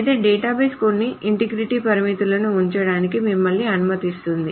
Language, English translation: Telugu, However, a database will let you put in some integrity constraints